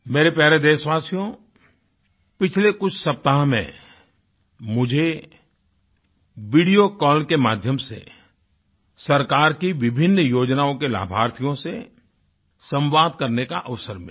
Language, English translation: Hindi, During the past few weeks, I had the opportunity to interact with the beneficiaries of different schemes of government through video call